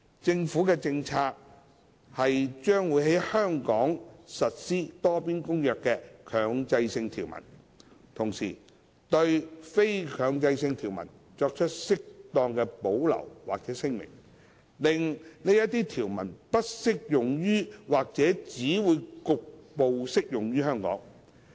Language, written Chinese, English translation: Cantonese, 政府的政策是將會在香港實施《多邊公約》的強制性條文，同時對非強制性條文作出適當的保留或聲明，令這些條文不適用於或只會局部適用於香港。, It is the Governments policy that Hong Kong will take forward the mandatory provisions of the Multilateral Convention while making suitable reservations or declarations for the optional provisions so that such provisions will not apply or will only partially apply to Hong Kong